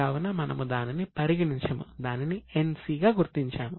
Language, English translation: Telugu, So, we will put it as NC